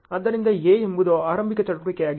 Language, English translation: Kannada, So, A is the starting activity